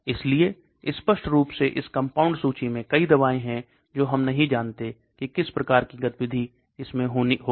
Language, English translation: Hindi, So obviously there are many drugs in this compound list which we do not know what type of activity it will have